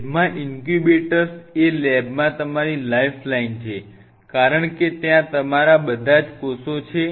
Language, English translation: Gujarati, Incubator is your life line in a lab because that is where all your cells are